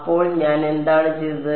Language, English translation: Malayalam, So, what did I do